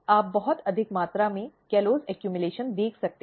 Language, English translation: Hindi, You can see very high amount of callose accumulation